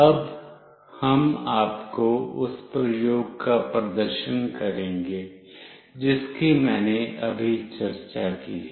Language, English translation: Hindi, Now, we will be demonstrating you the experiment that I have just now discussed